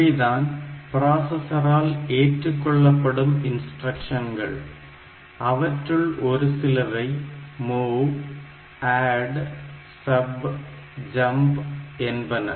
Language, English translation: Tamil, So, this is actually the instructions that that processor supports like MOV ADD SUB JUMP